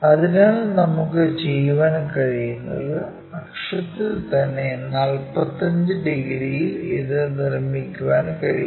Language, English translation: Malayalam, So, what we can do is on the axis itself we can construct it at 45 degrees this a b has to touch